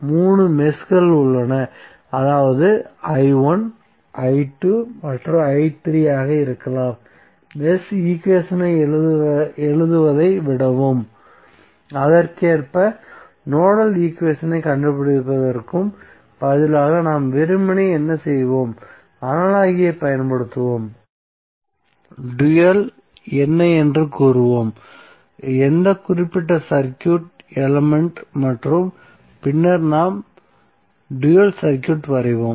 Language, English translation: Tamil, So you say that there are 3 meshes that is i1 may be i2 and i3, so rather then writing the mesh equation and correspondingly finding out the nodal equation what we will simply do we will simply use the analogy, we will say what is the dual of which particular circuit element and then we will draw the dual circuit